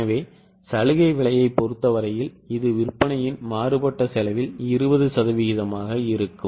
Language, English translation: Tamil, So, in case of concessional price, it will be 20% on variable cost of sales